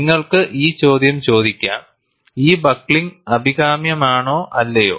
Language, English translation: Malayalam, You may ask the question, whether this buckling is desirable or not